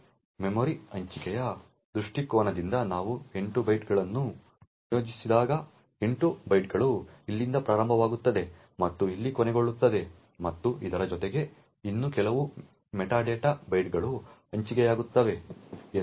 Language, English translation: Kannada, From memory allocation point of view when you allocate 8 bytes it would mean that the 8 bytes starts from here and end over here and besides this there would be some more meta data bytes that gets allocated